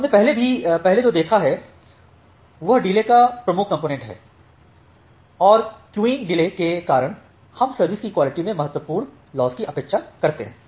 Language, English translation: Hindi, So, what we have seen earlier that queuing delay is the dominant component of delay and because of the queuing delay we expect a significant loss in quality of service